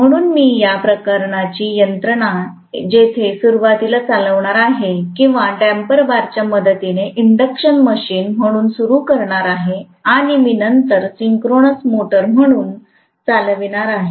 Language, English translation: Marathi, So this kind of mechanism where I am going to run it initially or start as an induction machine with the help of damper bars and I am going to run it later as a synchronous motor